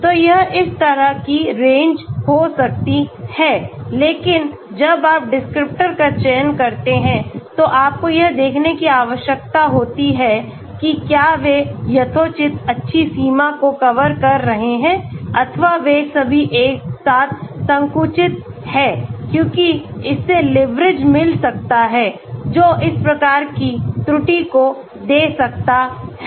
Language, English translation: Hindi, So it may be going like this but range, so when you select the descriptors you need to see whether they are covering a reasonably good range or they are narrow all clustered together because that may give leverage that may give this type of errors actually